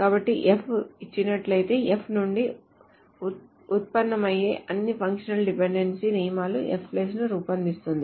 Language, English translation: Telugu, So given if all the functional dependency rules that can be derived from F forms F plus